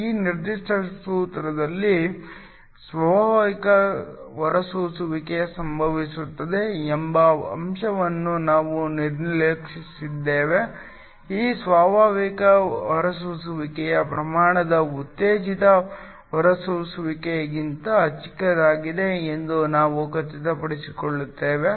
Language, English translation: Kannada, In this particular formula, we have ignored the fact that is spontaneous emission occurs we make sure that this spontaneous emission rate is much smaller than the stimulated emission